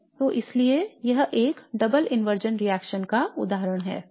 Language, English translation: Hindi, So therefore this is an example of a double inversion reaction